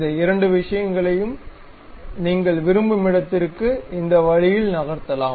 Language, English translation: Tamil, These two things, you can really move it whatever the desired location you would like to have in that way